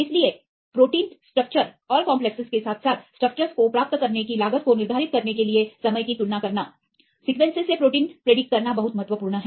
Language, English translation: Hindi, So, comparing the time to determine the structures of the proteins and the complexes right as well as the cost of getting the structures, it is very important to predict the 3 D structures of proteins from sequence